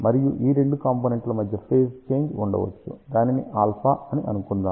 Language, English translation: Telugu, And between the two components, there may be a phase change which is given by alpha